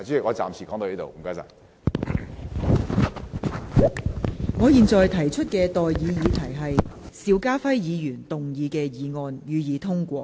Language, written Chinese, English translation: Cantonese, 我現在向各位提出的待議議題是：邵家輝議員動議的議案，予以通過。, I now propose the question to you and that is That the motion moved by Mr SHIU Ka - fai be passed